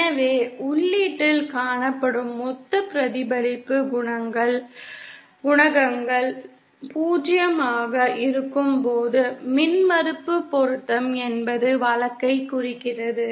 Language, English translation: Tamil, So impedance matching refers to the case when the total reflection coefficients seen at the input is 0